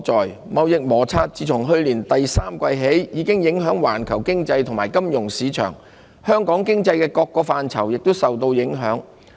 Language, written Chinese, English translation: Cantonese, 兩國的貿易摩擦自去年第三季起已影響環球經濟和金融市場，香港經濟各個範疇也受到影響。, As the global economy and financial markets began to feel the impacts of the trade friction between the two countries since the third quarter last year various aspects of the Hong Kong economy have also been affected